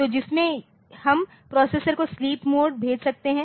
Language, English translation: Hindi, in which in which the processor will be we can make the processor to go into sleep mode